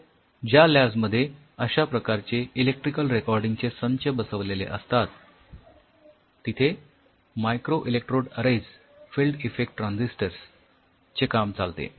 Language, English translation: Marathi, So, many of the labs who work on these kind of electrical recording systems yeah microelectrode arrays field effect transistors you work on